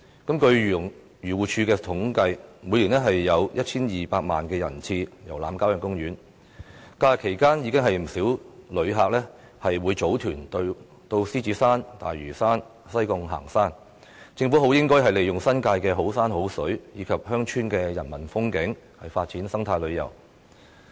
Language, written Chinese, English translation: Cantonese, 根據漁農自然護理署的統計，每年有 1,200 萬人次遊覽郊野公園，在假日期間，不少旅客會組團到獅子山、大嶼山或西貢行山，政府應該利用新界的好山好水和鄉村的人文風景，發展生態旅遊。, According to the statistics of the Agriculture Fisheries and Conversation Department the number of visitor trips to country parks is 12 million every year . During holidays many visitors form tours to hike on the Lion Rock Lantau Island or in Sai Kung . The Government should capitalize on the beautiful sceneries of the New Territories and the humanistic features of villages to develop eco - tourism